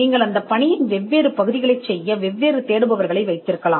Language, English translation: Tamil, You could also have different searchers doing different parts of the job